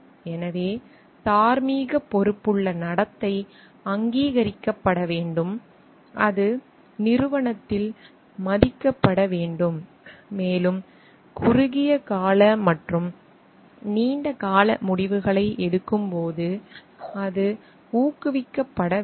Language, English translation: Tamil, So, morally responsible conduct should be recognized it should be respected in the organization, and it should be like encouraged while taking short term and long term decisions